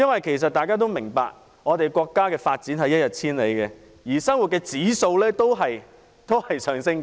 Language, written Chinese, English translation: Cantonese, 其實大家都明白，國家的發展一日千里，生活指數在上升。, As we all know our country is developing rapidly and the cost of living keeps rising